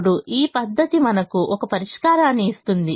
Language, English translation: Telugu, it is another method to give us a starting solution